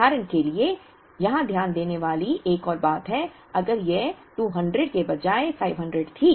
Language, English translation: Hindi, There is another thing to note here for example, if this were 500 instead of 200